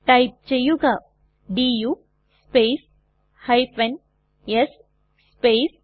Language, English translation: Malayalam, Then type du space s space *